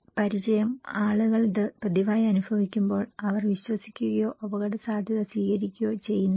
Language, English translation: Malayalam, Familiarity, when people are experiencing this in a regular basis they don’t believe or accept the risk